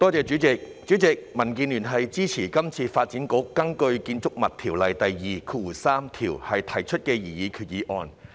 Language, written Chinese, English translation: Cantonese, 主席，民建聯支持這次發展局根據《建築物條例》第23條提出的擬議決議案。, President DAB supports the proposed resolution under section 23 of the Buildings Ordinance introduced by the Development Bureau